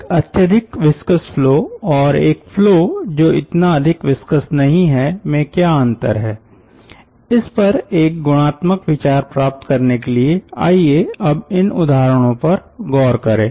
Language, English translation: Hindi, now to get a qualitative idea of what is the difference between ah highly viscous flow and the not not so much of viscous flow, so let us look into these examples